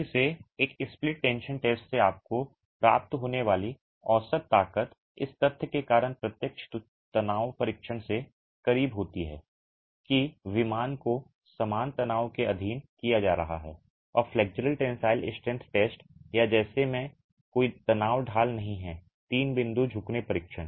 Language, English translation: Hindi, Again, the average strength that you would get from a split tension test is closer to the direct tension test because of the fact that the plane is being subjected to uniform tension and does not have a stress gradient like in the flexual tensile strength test or the three point bending test